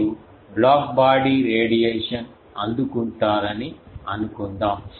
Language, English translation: Telugu, Actually suppose you will receive black body radiation